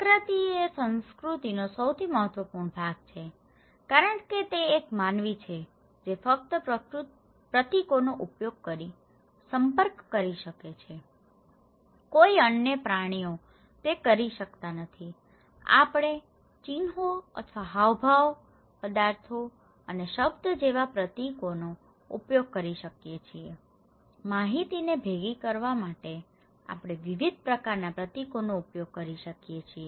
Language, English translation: Gujarati, Symbol is the most critical important part of culture because it is a human being who can only interact through using symbols, no other animals can do it, we can use symbols like sign or gesture, objects and words; we can use variety kind of symbols to reciprocate informations, okay